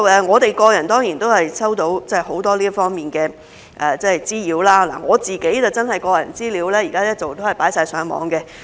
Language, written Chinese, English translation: Cantonese, 我們個人真的收到很多這方面的滋擾，我的個人資料現時一直被放上網。, We personally have really experienced a lot of nuisance in this area . My personal data has been posted on the Internet